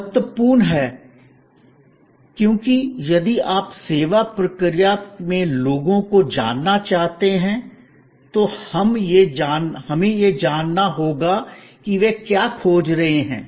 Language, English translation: Hindi, This is important because, if you want to know people in the service process, then we have to know, what they are looking for